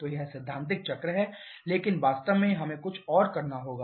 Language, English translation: Hindi, So, this is the theoretical cycle but in reality we have to do something else